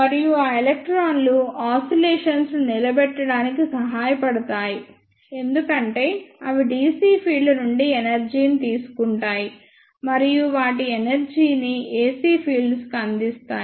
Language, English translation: Telugu, And those electron help in sustaining the oscillations as they take energy from the dc fields and give up their energy to the ac fields